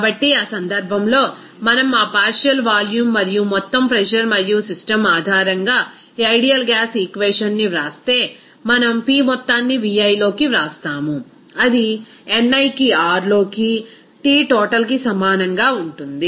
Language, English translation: Telugu, So, in that case if we write that ideal gas equation based on that partial volume and also total pressure and the system, then we can write P total into Vi that will be equal to ni into R into T total